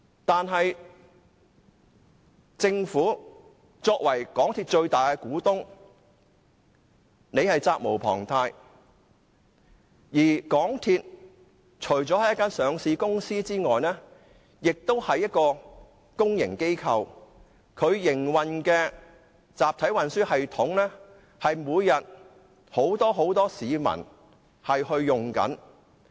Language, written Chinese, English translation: Cantonese, 但是，政府作為港鐵公司的最大股東，責無旁貸，而港鐵除了是一間上市公司外，亦是公營機構，所營運的集體運輸系統每天都有很多市民使用。, Nevertheless as the major shareholder of MTRCL the Government has the bounden duty to discharge its duties . MTRCL is not only a listed company but also a public organization operating a mass transit system used by many people every day